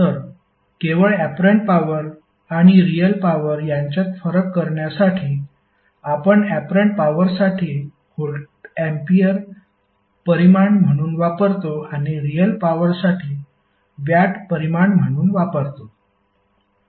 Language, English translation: Marathi, So just to differentiate between apparent power and the real power we use voltampere as a quantity for apparent power and watt as quantity for real power